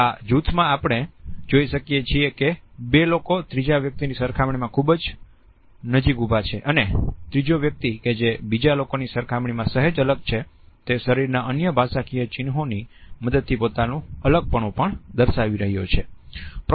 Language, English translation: Gujarati, But in this group, we look at the two people are standing with certain closeness in comparison to the third person and the third person who is slightly isolated in comparison to others is also showing his isolation with the help of other body linguistic signs